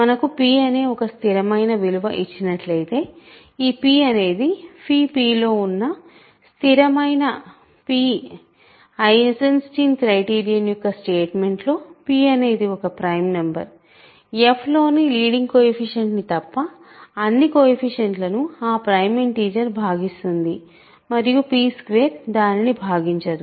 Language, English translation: Telugu, So, given we are, we are given a fixed p, right p is that fixed phi p, given in the statement of Eisenstein criterion, p is a prime number, prime integer that divides all the coefficients of f other than the leading coefficients, coefficient and also p squared does not divide the constraint